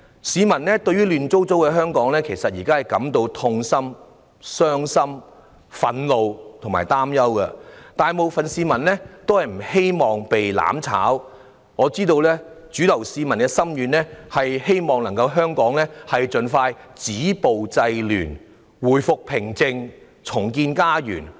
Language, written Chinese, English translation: Cantonese, 市民對於現時香港亂七八糟的情況感到痛心、傷心、憤怒及擔憂，大部分市民不希望被"攬炒"，我知道市民的主流心願是香港能盡快止暴制亂，回復平靜，重建家園。, Members of the public feel distressed sad angry and worried about the present chaos in Hong Kong . Most people do not wish to be forced to burn together . I know the mainstream wish of the public is for the violence to be stopped the disorder curbed peace restored and our home rebuilt in Hong Kong as soon as possible